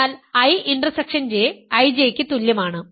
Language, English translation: Malayalam, So, I intersection J is equal to I J